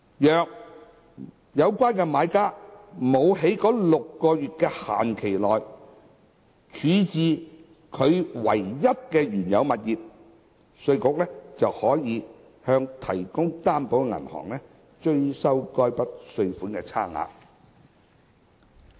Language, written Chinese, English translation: Cantonese, 若有關買家沒有在該6個月的期限內處置其唯一的原有物業，稅務局可向提供擔保的銀行追收該筆稅款差額。, If buyers fail to dispose of their only original property within the six - month time limit IRD may recover the difference from the guarantor bank